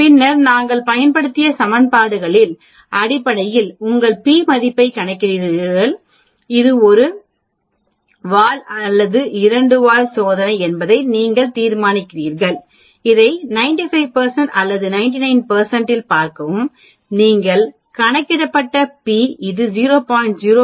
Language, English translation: Tamil, So you formulate the hypothesis and then you calculate your p value based on the type of equations we used, then you decide on whether it is a single tail or a two tailed test, then you decide on a am I going to look at it at 95 percent or 99 percent, then you say the p you are calculated is it less than 0